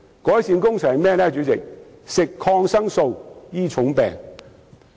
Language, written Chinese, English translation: Cantonese, 便是服食抗生素來醫治重病。, It means treating serious illnesses with antibiotics